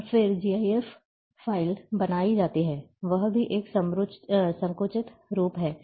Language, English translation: Hindi, And then GIF file is created, that is also a compressed format